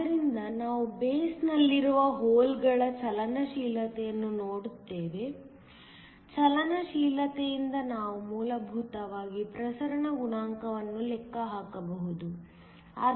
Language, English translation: Kannada, So, we look at the mobility of the holes in the base; from the mobility, we can essentially calculate the diffusion coefficient